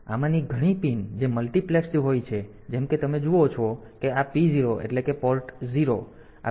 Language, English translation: Gujarati, So, many of these pins so they are multiplexed like you see that this P 0 the port 0 the these pins at pin number 3 2 to 3 9